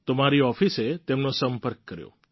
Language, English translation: Gujarati, So my office contacted the person